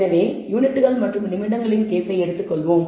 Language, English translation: Tamil, So, let us take the case of the units and minutes